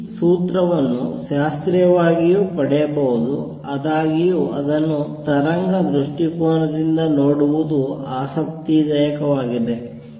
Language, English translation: Kannada, This formula can also be derived classically; however, it is interesting to look at it from the wave perspective